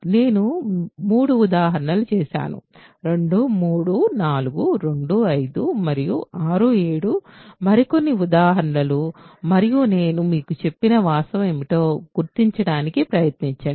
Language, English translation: Telugu, So, I have done three examples 2 3 4 2 5 and 6 7 are few more examples and try to identify I told you what the fact is